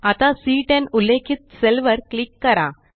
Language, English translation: Marathi, Now, click on the cell referenced as C10